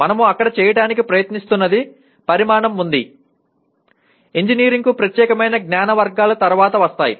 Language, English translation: Telugu, What we will try to do there are has dimension, again knowledge categories that are specific to engineering will come later